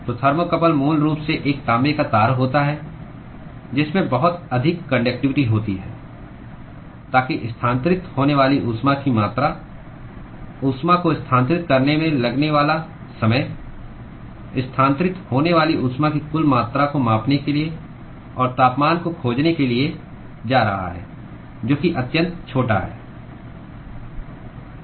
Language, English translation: Hindi, So, thermocouple is basically a copper wire which has a very high conductivity so that the amount of heat that is transferred the time it takes for transferring the heat to measure the total amount of heat that is transferred and find the temperature is going to be extremely small